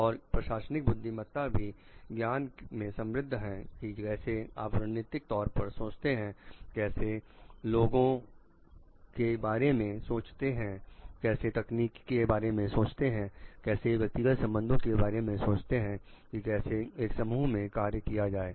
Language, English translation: Hindi, And the management wisdom also enriches with the knowledge of like how to do strategic thinking, how to think of the people, how to think of the technology and how to think of the interpersonal relationship how to work in a group